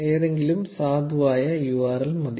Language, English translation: Malayalam, Just putting any valid URL will work